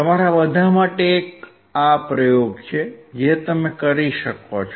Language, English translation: Gujarati, This is an experiment for all of you to perform